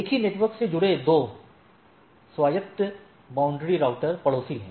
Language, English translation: Hindi, Two autonomous boundary routers connected to the same network are neighbors right